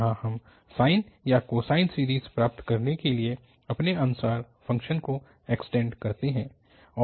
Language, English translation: Hindi, So here extend the function as per our desire to have sine or the cosine series